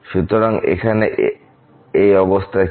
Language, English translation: Bengali, So, what do we have